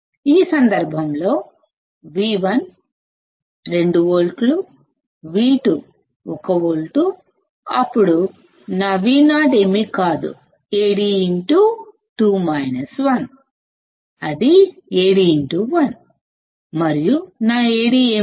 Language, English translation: Telugu, In this case, V1 is 2 volts, V2 is 1 volt; then my Vo would be nothing but, Ad into 2 minus 1, that is Ad into 1 and what is my A d